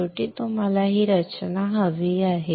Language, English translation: Marathi, Finally, what you want is this structure